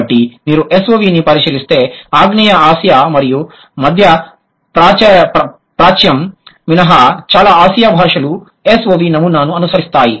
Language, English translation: Telugu, So, if you look at SOV, most of the Asian languages except Southeast Asia and Middle East, they follow SOV pattern